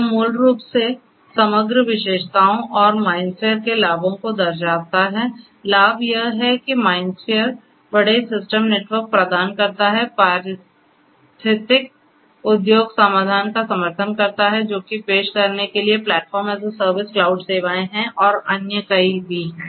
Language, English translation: Hindi, This is the overall you know this basically shows the overall features and the advantages of MindSphere; advantages are that MindSphere basically provides large system network, supports ecological industrial solutions has PaaS cloud services for offering and there are many others also